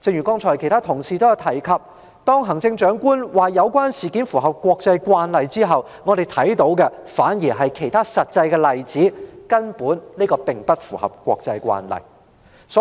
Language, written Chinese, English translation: Cantonese, 剛才其他同事也提及，行政長官表示有關事件符合國際慣例後，我們發現有其他實際例子，證明這事並不符合國際慣例。, As pointed out by other colleagues just now after the Chief Executive stated that the incident was in line with international practice we have found other practical examples to prove that this incident does not comply with international practice